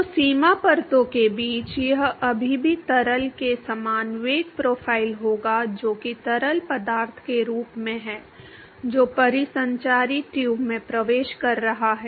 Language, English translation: Hindi, So, between the boundary layers it will still have same velocity profile as the fluid as the as that of the fluid which is entering the circulate tube